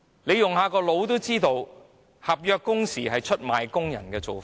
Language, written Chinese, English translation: Cantonese, 不用細想也知道，推行合約工時是出賣工人的做法。, It goes without saying that implementing contractual working hours is a betrayal of workers